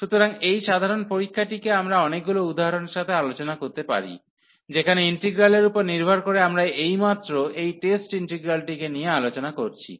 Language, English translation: Bengali, So, with this simple test we can discuss many examples, where based on the integral which we have just discuss this test integral